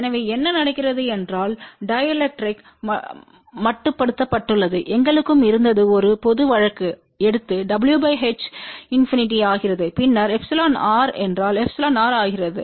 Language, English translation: Tamil, So, what happens the mode wave is confined within the dielectric and we had also taken a general case if w by h becomes infinity then epsilon e becomes epsilon r